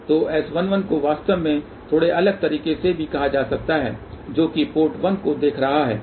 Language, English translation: Hindi, So, S 11 actually can also be termed in a slightly different way that is look at the port 1 here this is S 11